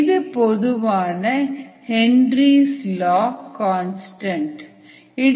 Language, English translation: Tamil, this is usually the henrys law constant